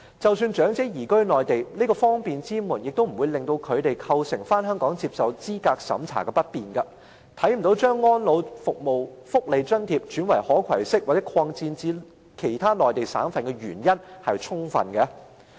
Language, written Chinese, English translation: Cantonese, 即使長者移居內地，這道方便之門也不會對他們返回香港接受資格審查構成不便，因此，我看不到有充分理由把安老福利津貼轉為可攜式，以及擴展至內地其他省份。, This door of convenience will not block the elderly persons who have already moved to the Mainland from coming back to Hong Kong to receive a means test . I thus cannot see any valid reason to make elderly care benefits and allowances portable and expand the coverage to other Mainland provinces